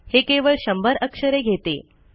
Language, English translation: Marathi, It can only be a 100 characters long